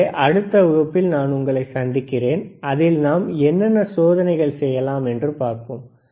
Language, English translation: Tamil, So, I will see you in the next class, and let us see what experiments we can perform,